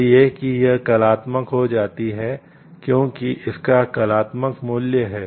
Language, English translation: Hindi, So, that it becomes; so, like artistic because it has its artistic value